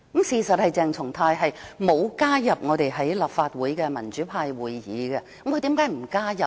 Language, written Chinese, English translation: Cantonese, 事實上，鄭松泰議員並無加入立法會的民主派會議，他為何不加入呢？, In fact Dr CHENG Chung - tai has never joined any meeting of the pro - democracy camp . Why has he not joined the meeting?